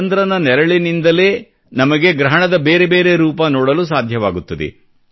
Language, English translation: Kannada, Due to the shadow of the moon, we get to see the various forms of solar eclipse